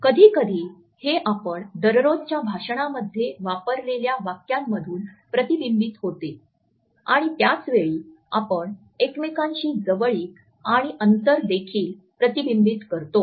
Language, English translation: Marathi, Sometimes it is reflected in the phrases which we use in our day to day speech and at the same time it is also reflected in the proximity and distance which we maintained with each other